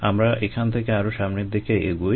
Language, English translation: Bengali, we will move forward from here